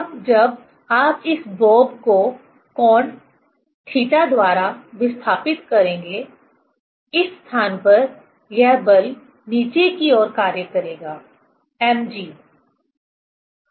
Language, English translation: Hindi, Now when you will displace this bob by angle theta; at this place this force will act downwards, mg